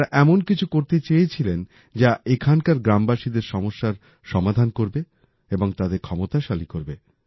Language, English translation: Bengali, These people wanted to do something that would solve the problems of the villagers here and simultaneously empower them